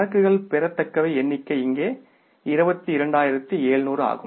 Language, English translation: Tamil, Accounts receivables figure comes up here is that is 22,700s